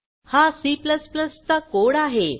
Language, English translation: Marathi, Here is a C++ code